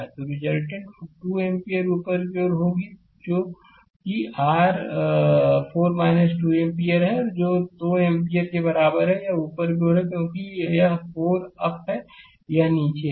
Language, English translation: Hindi, So, resultant will be 2 ampere upward that is your 4 minus 2 ampere that is is equal to 2 ampere, it is upward right because this is 4 up, this is down